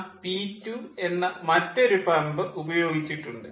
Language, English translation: Malayalam, then again we have used another pump, p two